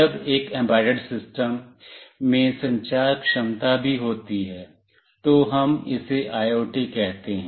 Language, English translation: Hindi, When an embedded system also has got communication capability, we call it as an IoT